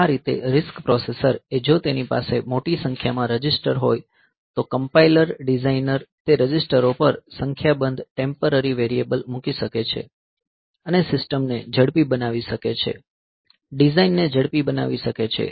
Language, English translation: Gujarati, So, that way this RISC processor, if it has large number of registers then the compiler designer can put a number of temporary variables onto those registers and make the system fast, make the design fast